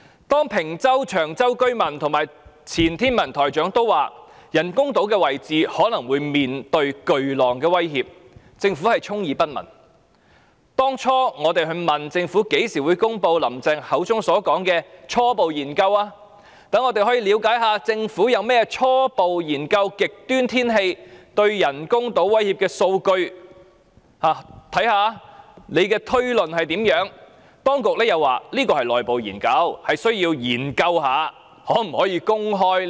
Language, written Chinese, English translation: Cantonese, 當坪洲和長洲居民及前天文台台長說人工島的位置可能會面對巨浪的威脅，政府充耳不聞；當初我們問政府，何時公布"林鄭"所說的初步研究，讓我們可以了解一下政府初步研究極端天氣對人工島威脅的數據，看看推論如何，當局又說這是內部研究，需要研究一下可否公開。, When Ping Chau and Cheung Chau residents and the former Director of the Hong Kong Observatory pointed out that the locations of the artificial islands might be affected by huge waves the Government turned a deaf ear; when we asked the Government when it would announce the results of the preliminary study mentioned by Carrie LAM so that we could understand from the data of the study the threats of extreme weather on the artificial islands and how the inference was made the authorities said that they had to examine if this internal study could be made public